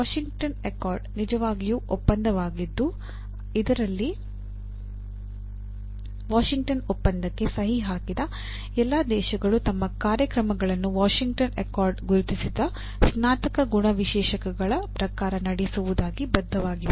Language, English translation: Kannada, Washington Accord is really the umbrella accord wherein all the signatory countries to the Washington Accord are actually committing that they will be conducting their programs; broadly as per the kind of outcomes or a Graduate Attributes that are identified by Washington Accord